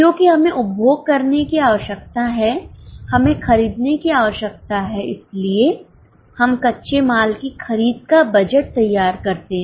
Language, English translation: Hindi, Because we need to consume, we need to buy, so we prepare raw material purchase budget